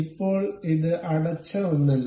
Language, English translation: Malayalam, Now, it is not a closed one